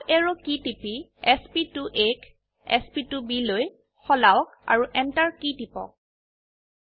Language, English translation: Assamese, Press up arrow key and change sp2a to sp2b, press Enter